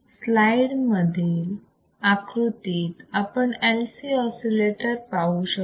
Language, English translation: Marathi, So, let us see what are the LC oscillators are